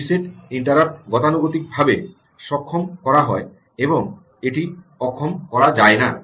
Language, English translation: Bengali, the reset interrupt is enabled by default and cannot be disabled